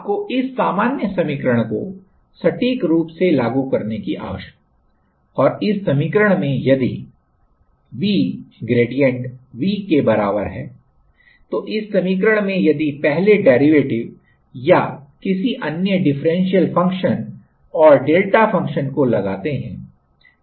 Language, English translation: Hindi, You need to apply accurately this general equation and in this equation if V equal grade V, in this equation if we apply and under first derivative or another differential function and the delta function